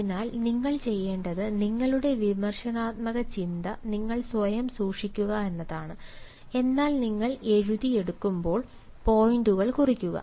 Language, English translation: Malayalam, so what you should do is you should keep your critical thinking to yourself, but as you are jotting down, jot down the points